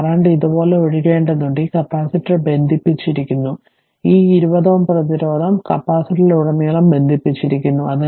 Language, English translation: Malayalam, And this capacitor is connected this 20 ohm resistance is connected ah across the capacitor right